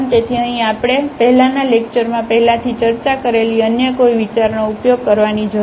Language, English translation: Gujarati, So, here we do not have to use any other idea then the discussed in already in the previous lecture